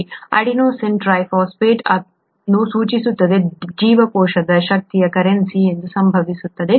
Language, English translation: Kannada, This, this stands for adenosine triphosphate, this happens to be the energy currency of the cell